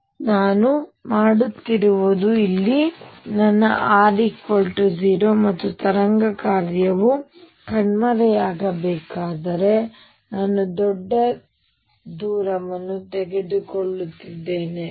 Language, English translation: Kannada, So, what we are doing is here is my r equals 0, and I am taking a large distance out where wave function is supposed to vanish